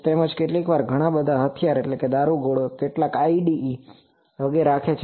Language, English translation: Gujarati, Also sometimes many arms ammunitions, some IEDs etc